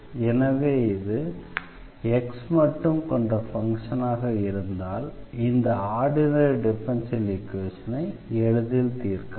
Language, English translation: Tamil, So, if this is a function of x alone, then we can solve this ordinary simple differential equation if this function is not very complicated here